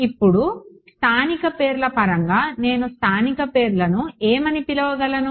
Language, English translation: Telugu, Now, in terms of local names what can I call it local names